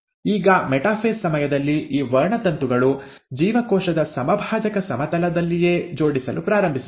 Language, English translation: Kannada, Now during the metaphase, these chromosomes start arranging right at the equatorial plane of the cell